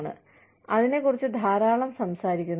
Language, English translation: Malayalam, We talk about it, a lot